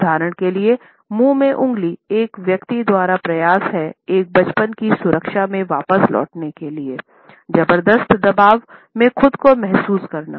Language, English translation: Hindi, For example, fingers in mouth is an unconscious attempt by the person, who is finding himself under tremendous pressure to revert to the security of a childhood